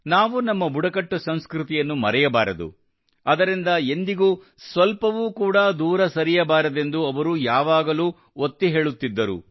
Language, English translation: Kannada, He had always emphasized that we should not forget our tribal culture, we should not go far from it at all